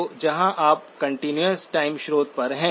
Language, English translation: Hindi, So here you are at the continuous time source